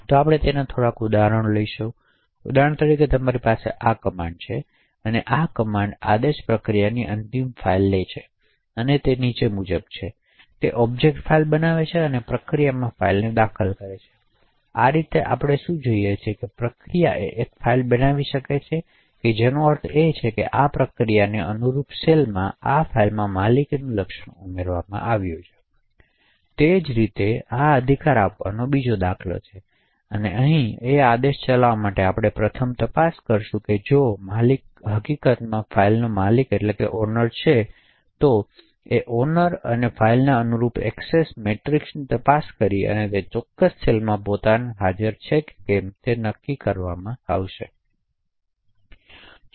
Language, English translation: Gujarati, So we will take a few examples of this, for example you have this create command, so this create command takes a process end file and the command is as follows, so create object file and enter own into process, file, in this way what we see is that a process can create a file which would mean that in the cell corresponding to this process and this file the ownership attribute is added on, similarly this is another example of confer right, so in order to run this command we first check if the owner is in fact the owner of the file, this is checked by looking into the Access Matrix corresponding to owner and file and determining whether own is present in that particular cell